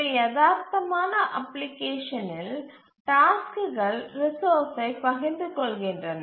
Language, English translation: Tamil, In a realistic application, the tasks do share resources